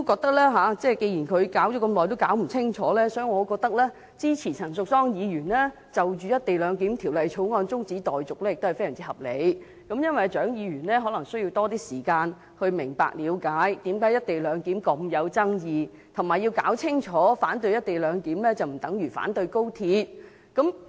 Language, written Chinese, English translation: Cantonese, 但是，既然她弄了這麼久也弄不清，我認為支持陳淑莊議員就《廣深港高鐵條例草案》提出的中止待續議案，也非常合理，因為蔣議員可能需要多一些時間了解為何"一地兩檢"如此具爭議，並且弄清楚反對"一地兩檢"不等於反對高鐵。, Nevertheless since Dr CHIANG has not understood the crux of the problem after such a long time I think it is very reasonable to support Ms Tanya CHANs motion to adjourn the debate on the Guangzhou - Shenzhen - Hong Kong Express Rail Link Co - location Bill the Bill . Dr CHIANG may need a little more time to understand why the co - location arrangement is so controversial and to realize that opposing the co - location arrangement is not the same as opposing XRL